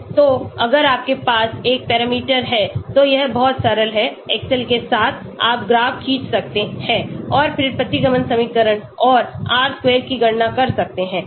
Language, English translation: Hindi, So if you have one parameter, it is very simple with excel you can draw the graph and then calculate the regression equation and R square